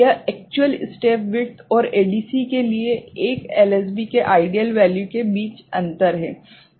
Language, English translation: Hindi, This is the difference between an actual step width ok, and the ideal value of 1 LSB for ADC